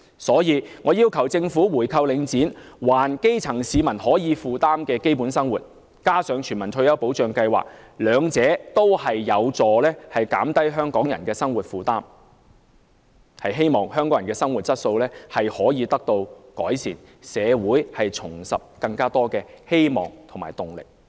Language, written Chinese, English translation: Cantonese, 所以，我要求政府回購領展，還基層市民能夠負擔的基本生活，再加上推行全民退休保障計劃，兩者均有助減低香港人的生活負擔，希望香港人的生活質素得以改善，讓社會重拾希望和動力。, I therefore urge the Government to buy back the Link REIT so that grass - roots people can afford basic living necessities again which together with the implementation of a universal retirement protection scheme will help to relieve the burdens of the costs of living of Hong Kong people and improve their quality of life rejuvenating hopes and motivations in the community